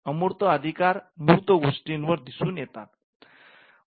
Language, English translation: Marathi, Now, intangible rights and tangible things are connected